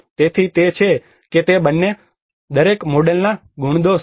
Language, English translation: Gujarati, So that is how they are both pros and cons of each model